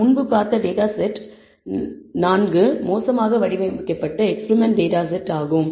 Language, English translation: Tamil, Data set 4 as we saw before is a poorly designed experimental data set